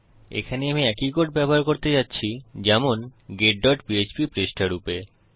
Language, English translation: Bengali, Here I am going to use the same code as that of the get.php page